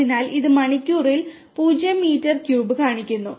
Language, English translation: Malayalam, So, it is showing 0 meter cube per hour the instantaneous flow